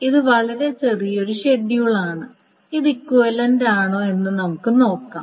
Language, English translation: Malayalam, This is a very short schedule and let us see whether this is equivalent